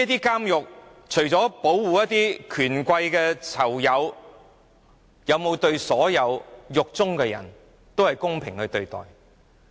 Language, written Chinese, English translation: Cantonese, 監獄除了保護權貴囚友以外，有沒有公平對待所有囚犯？, In addition to protecting influential inmates have the prisons treated all inmates fairly?